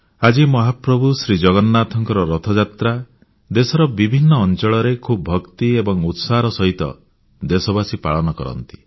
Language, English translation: Odia, The Car festival of Lord Jagannath, the Rath Yatra, is being celebrated in several parts of the country with great piety and fervour